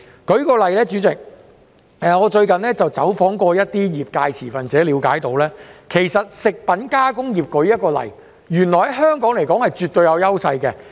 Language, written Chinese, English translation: Cantonese, 代理主席，最近，我走訪一些業界持份者，了解到食品加工業原來在香港是絕對有優勢的。, Deputy President having visited some industry stakeholders recently I realize that the food processing industry is absolutely advantageous in Hong Kong